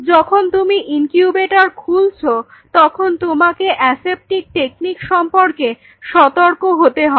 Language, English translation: Bengali, While your opening the incubator we very ultra careful about your aseptic techniques in terms of the incubator